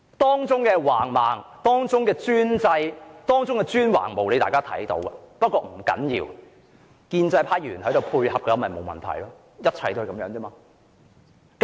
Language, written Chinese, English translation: Cantonese, 當中的橫蠻、專制、專橫無理，大家有目共睹，可是不要緊，只要建制派議員配合便沒有問題，一切就是如此而已。, This imperious autocratic peremptory and unreasonable approach is obvious to everyone . But it does not matter . As long as pro - establishment Members cooperate it is fine